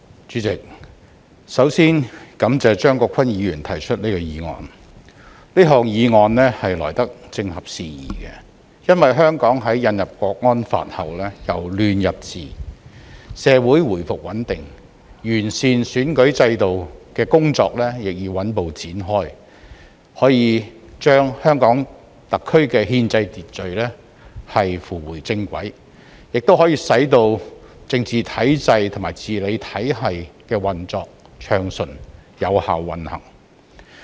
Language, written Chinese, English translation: Cantonese, 主席，首先感謝張國鈞議員提出這項議案。這項議案來得正合時宜，因為香港在引入《香港國安法》後由亂入治，社會回復穩定，完善選舉制度的工作亦已穩步展開，可把香港特區的憲制秩序扶回正軌，使政治體制和治理體系運作順暢、有效運行。, President first of all I thank Mr CHEUNG Kwok - kwan for moving this motion which comes at the right time as social stability has been restored amid Hong Kongs transition from chaos to governance following the introduction of the National Security Law for Hong Kong and as steady efforts are already underway to improve the electoral system with a view to enabling the constitutional order of the Hong Kong Special Administrative Region HKSAR to get back on track and ensuring a smooth and effective operation of the political and governance systems